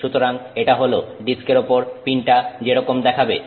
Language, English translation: Bengali, So, this is what the pin sees on the disk